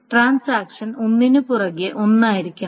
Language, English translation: Malayalam, So the transactions must come one after another